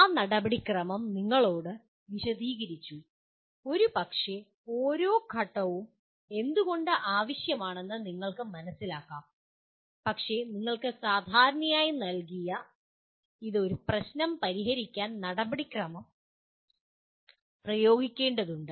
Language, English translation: Malayalam, That procedure is explained to you, possibly understand why each step is necessary but then you have to apply the procedure that is given to you and generally it is to solve a problem